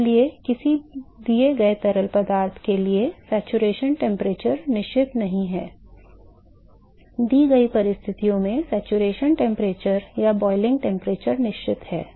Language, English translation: Hindi, So, not that saturation temperature is fixed for a given fluid, under given conditions the saturation temperature or the boiling temperature is fixed